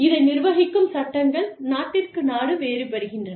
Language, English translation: Tamil, The laws governing this are, different from, country to country